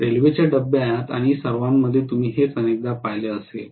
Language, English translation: Marathi, This is what you would have seen many times in railway compartment and all